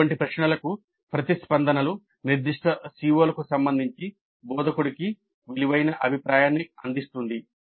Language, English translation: Telugu, So responses to such questions will provide valuable feedback to the instructor with respect to specific COs